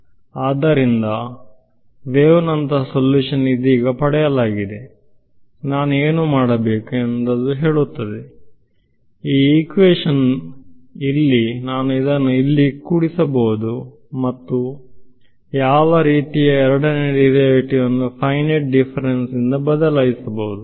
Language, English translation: Kannada, So, that says wave like solution is what is obtained right now, what do I do; so, this equation over here, I can add it over here and replaced by what kind of a second derivative can be replaced by a finite differences right